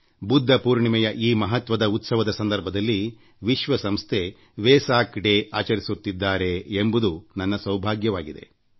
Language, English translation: Kannada, I feel fortunate that the occasion of the great festival of Budha Purnima is celebrated as Vesak day by the United Nations